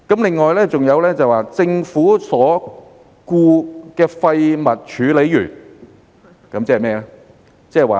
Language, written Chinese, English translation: Cantonese, 此外，還有"政府所僱廢物處理員"，即是甚麼呢？, It is just as simple as that . Besides there was also Government - employed waste handler and what is it?